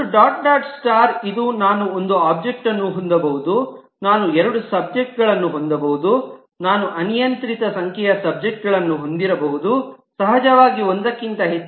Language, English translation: Kannada, This defines the multiplicity which states that I can have one subject, I can have two subjects, I can have arbitrary number of subjects, of course more than one